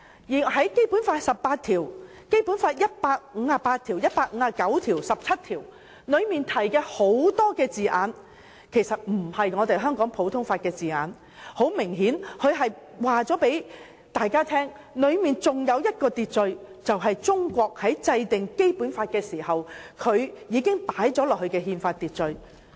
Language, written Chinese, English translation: Cantonese, 在《基本法》第十七條、第十八條、第一百五十八條及第一百五十九條中的很多字眼其實並非香港普通法的字眼，明顯告訴大家當中還有另一種秩序，即中國在制定《基本法》時已加入的憲法秩序。, A number of words in Articles 17 18 158 and 159 of the Basic Law are actually not those used in common law clearly showing that there is another kind of order in place ie . the constitutional order put in place by China when enacting the Basic Law